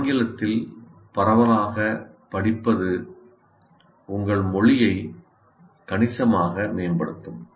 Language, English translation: Tamil, Reading widely in English will greatly improve your language